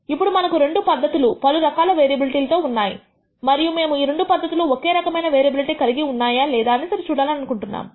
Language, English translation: Telugu, Now, we have two processes which have different variability and we want to compare whether these two process have the same variability or not